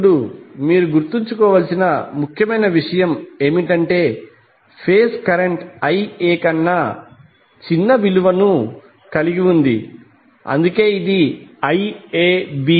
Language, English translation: Telugu, Now important thing you need to remember that the phase current is having value smaller than Ia that is why it is represented in the phasor diagram Ia larger than Iab